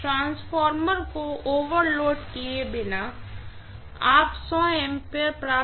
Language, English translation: Hindi, Without overloading the transformer you would be able to get 100 amperes, right